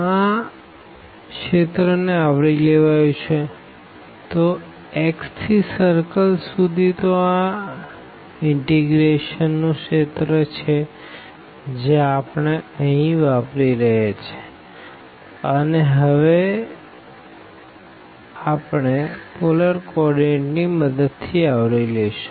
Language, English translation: Gujarati, And the region enclosed by this one, so from x to the circle, so this is the region of integration which we are using here and we have to now cover with the help of the polar coordinate